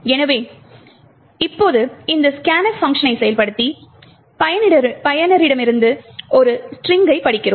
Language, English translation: Tamil, So, then now we invoke this scanf function which reads a string from the user